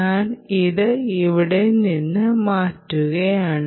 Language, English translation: Malayalam, i will remove this and i will go here